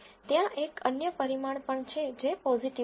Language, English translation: Gujarati, There is also another parameter called positive